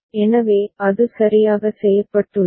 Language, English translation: Tamil, So, that has been done right